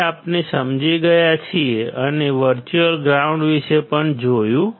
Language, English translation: Gujarati, So, that we have understood and we have also seen about the virtual ground